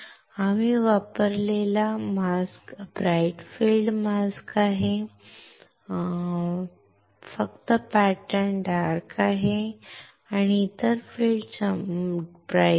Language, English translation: Marathi, The mask that we have used is bright field mask, only the patterns are dark, and the other field is bright